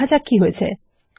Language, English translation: Bengali, Lets see what happened